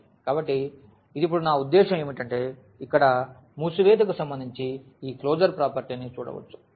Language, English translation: Telugu, So, how this is I mean now one can see this closure property with respect to the addition here